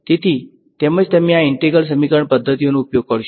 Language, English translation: Gujarati, So, that is why you will take use these integral equation methods ok